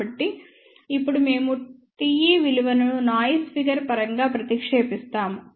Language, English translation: Telugu, So, now we substitute the value of T e in terms of noise figure